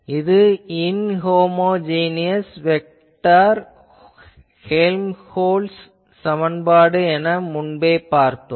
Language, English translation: Tamil, This was the Helmholtz equation inhomogeneous vector Helmholtz equation earlier